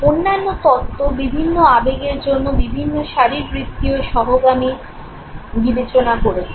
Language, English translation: Bengali, Other theories have considered different physiological concomitants for diverse emotion